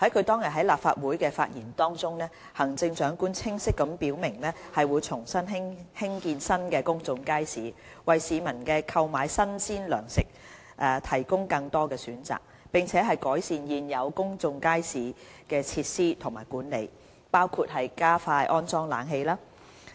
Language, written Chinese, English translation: Cantonese, 當日在立法會的發言中，行政長官清晰表明會重新興建新的公眾街市，為市民購買新鮮糧食提供更多選擇，並改善現有公眾街市的設施和管理，包括加快安裝冷氣。, In her speech to the Legislative Council that day the Chief Executive clearly stated that the Government would resume the construction of new public markets to offer wider choices of fresh provisions to the public and improve the facilities and management of existing public markets including expediting the installation of air conditioners